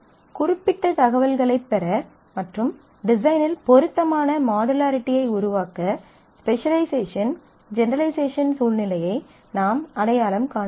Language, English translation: Tamil, We have to identify the specialization generalization situation where so, that we can get more specific information and create appropriate modularity in the design